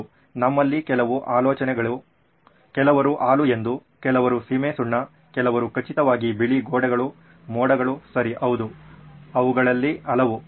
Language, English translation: Kannada, Well, yeah some of the ideas are, yes correct some of you guessed milk yeah, chalk, sure walls, white walls yeah, clouds yeah that’s a good one, okay yeah so many of those